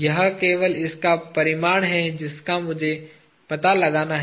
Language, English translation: Hindi, It is only the magnitude of this that i need to find out